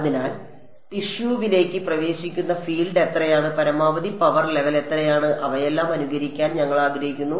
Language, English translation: Malayalam, So, we want to simulate how much is the field that is entering the tissue, how much is the maximum power level and all of those things